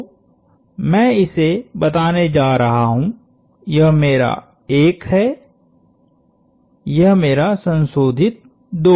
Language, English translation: Hindi, So, I am going to call this, this is my 1 this is my modified 2